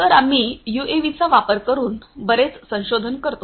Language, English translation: Marathi, So, we do a lot of research using UAVs